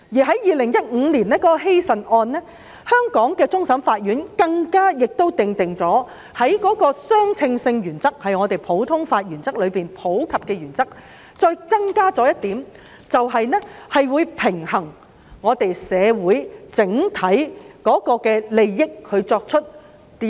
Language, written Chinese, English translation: Cantonese, 在2015年希慎一案，香港終審法院更訂定相稱原則，即在普通法的普及原則上增加一項原則，以平衡香港社會的整體利益。, In the case of Hysan Development Co Ltd in 2015 CFA had even applied the principle of proportionality which is an additional principle on top of the common law principle of universality with the aim to balance the overall interests of Hong Kongs society